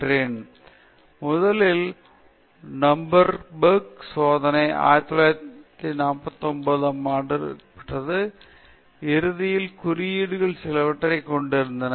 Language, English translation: Tamil, The first one is the Nuremberg trials which took place somewhere around 1949, which has ultimately some with certain codes